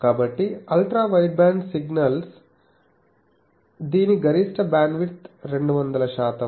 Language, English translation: Telugu, So, an Ultra wideband signal it is maximum bandwidth is 200 percent